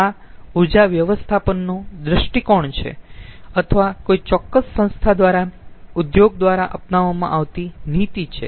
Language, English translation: Gujarati, this energy management is energy management is the outlook or is the policy adopted by a particular particular organization or industry